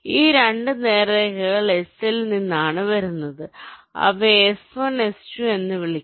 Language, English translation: Malayalam, these two straight lines are coming from s, call them s one and s two